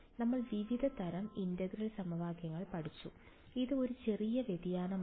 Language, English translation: Malayalam, We have studied different types of integral equations, this is a slight variation